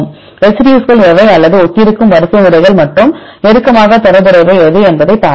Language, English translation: Tamil, We will see what are the residues or which are the sequences right which are similar to each other which are closely related to each other and so on